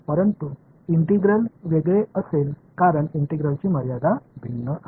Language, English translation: Marathi, But the integral will be different because limits of integration are different